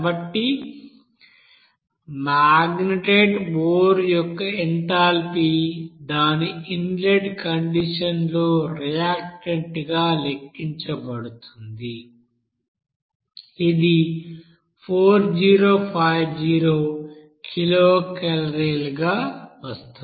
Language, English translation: Telugu, So this enthalpy for this you know magnetite ore at its you know inlet condition as a reactant, this will be coming as 4050 kilocalorie